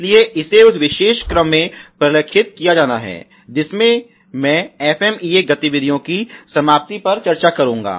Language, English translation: Hindi, So, that has to be documented in that particular order, so I will discuss to the end of the FMEA activities